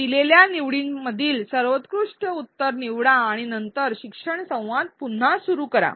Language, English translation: Marathi, Choose the best answer among the choices given and then resume the learning dialogue